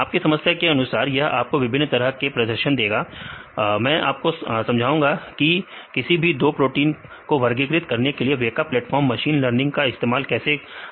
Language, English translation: Hindi, Depending upon your problem, it will give you the different types of performance; I will explain how we use the weka machine learning workflow to classify these two types of proteins